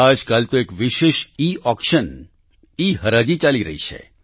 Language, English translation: Gujarati, These days, a special Eauction is being held